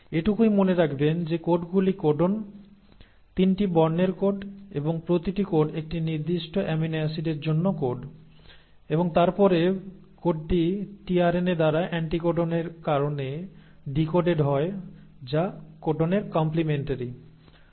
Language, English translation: Bengali, Just remember that the codes are the codons, the 3 letter codes and each code codes for a specific amino acid, and then the code is decoded by the tRNA because of the anticodon which is complementary to the codon